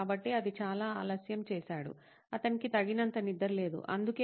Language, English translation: Telugu, So that’s too late, he is not getting enough sleep, that’s why